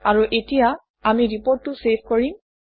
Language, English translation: Assamese, And, now, we will save the report